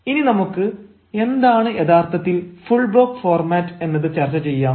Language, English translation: Malayalam, now let us discuss what exactly do we mean by full block format